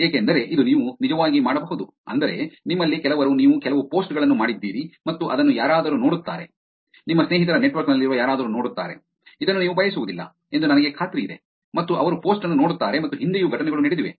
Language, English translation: Kannada, Because today, you could actually, meaning, I am sure some of you have experienced that you did some post and which you did not want somebody to, somebody in your friends network to see, and they got to see the post, and there have been incidences in the past also